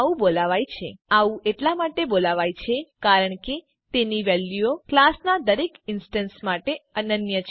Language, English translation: Gujarati, Instance fields are called so because their values are unique to each instance of a class